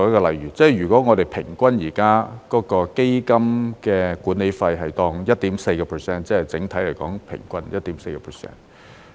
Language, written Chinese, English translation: Cantonese, 例如，如果我們現時基金的管理費是 1.4%， 即是整體來說平均 1.4%。, For example suppose the management fee charged by the funds is 1.4 % at present that is the overall average is 1.4 %